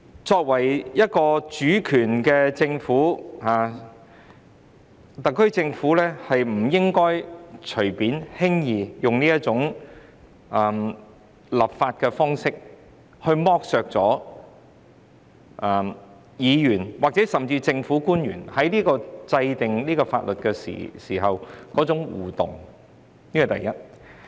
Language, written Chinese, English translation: Cantonese, 作為主權政府，特區政府不應輕易採用這種立法方式，令議員或政府官員在制定法例過程中不能互動，這是第一點。, As a sovereign government the SAR Government should not lightly adopt this legislative approach which prevents interaction by Members or government officials in the enactment process . This is the first point